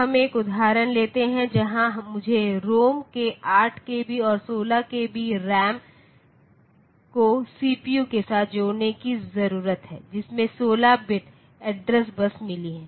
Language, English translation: Hindi, We take an example where I have to I need to connect eight kilobyte of ROM and 16 kilobyte of RAM via system, with a CPU that has got 16 bit address bus